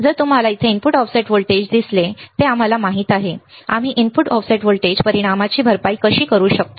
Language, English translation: Marathi, Now, if you see here input offset voltage that we know right, how we can how we can compensate the effect of input offset voltage